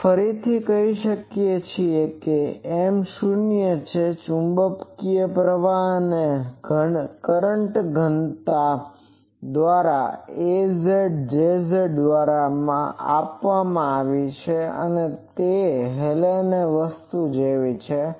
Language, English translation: Gujarati, Now, again we can say that M is 0 the magnetic current and current density is given by this a z, J z, so same as Hallen’s thing